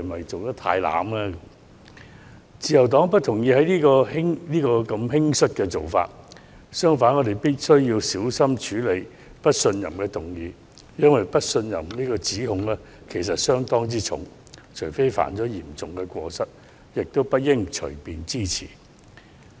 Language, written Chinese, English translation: Cantonese, 自由黨不認同這種輕率的做法，相反，我們認為必須小心處理不信任議案，因為不信任的指控相當嚴重，除非涉及嚴重過失，否則不應隨便支持有關議案。, The Liberal Party disagrees with this hasty approach . On the contrary we consider it necessary to be cautious in handling this motion of no confidence for the allegation of no confidence is a very serious one . Unless a serious fault is involved Members should not support such a motion casually